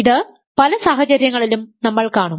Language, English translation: Malayalam, So, we will see this in many situations ok